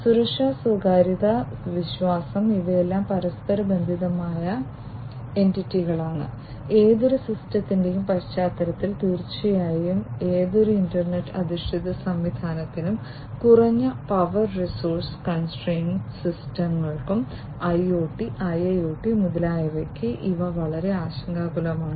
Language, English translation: Malayalam, So, security, privacy, trust these are all interlinked entities and these are of utmost concern in the context in the context of any system, and definitely for any internet based system and much more for IoT and low powered resource constraint systems IoT, IIoT, and so on